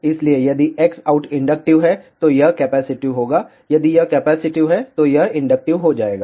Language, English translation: Hindi, So, if X out is inductive, this will be capacitive; if this is capacitive, this will become inductive